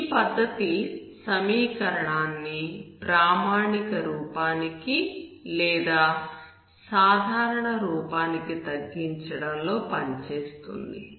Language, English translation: Telugu, This method works on reducing the equation to a standard form or normal form